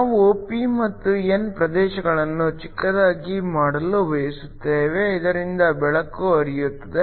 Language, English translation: Kannada, We want to make the p and the n regions short so that the light can shine through